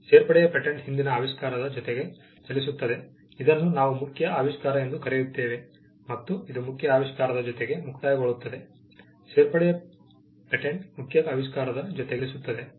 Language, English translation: Kannada, The patent of addition will run along with the earlier invention, what we call the main invention, and it will expire along with the main invention; Which goes to tell you that a patent of addition is nothing but, something which runs along with a main invention